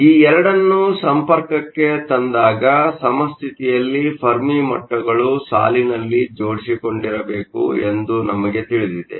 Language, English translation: Kannada, So, When these 2 are brought together in contact, we know that in equilibrium the Fermi levels must line up